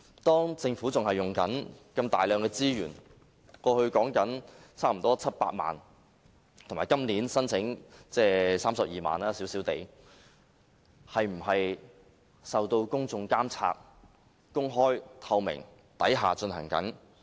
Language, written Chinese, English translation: Cantonese, 當政府仍然在使用如此大量的資源——過去用了差不多700萬元，以及今年小量地申請32萬元撥款——一些事情是否受到公眾監察、是公開、透明地進行的呢？, The Government has been using so much money on this―nearly 7 million in the past and the small sum of 320,000 this year . But are the public able to monitoring the process to make sure that all is done with openness and transparency?